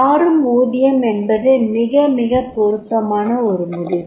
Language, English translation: Tamil, Variable pay, it is a very very relevant decisions